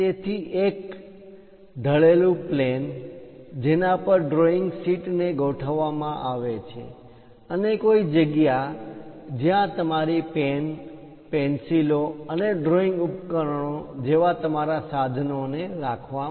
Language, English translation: Gujarati, So, an inclined plane on which one will be going to fix a drawing sheet and a compartment to keep your reserves like pen, pencils, and drawing equipment